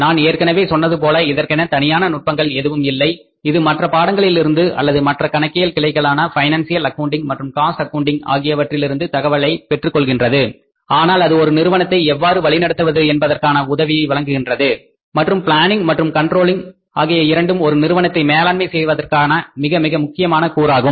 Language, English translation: Tamil, As I told you that it doesn't have its own technique, it borrows the information from the other subjects or other branches of accounting, financial accounting and the cost accounting but it helps us how to manage the organizations, how to manage the firms and planning and controlling is very very important or the very important components of the overall form management